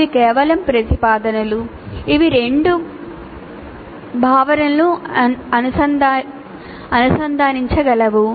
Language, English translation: Telugu, These are just propositions that can link two concepts